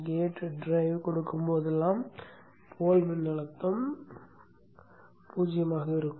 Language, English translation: Tamil, So whenever the gate drive is given, the pole voltage will be zero